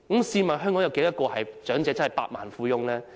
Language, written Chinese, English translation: Cantonese, 試問香港有多少長者真的是百萬富翁？, May I ask how many elderly persons in Hong Kong are millionaires?